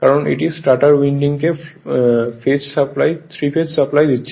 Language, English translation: Bengali, This is the stator winding, this is the three phase supply, right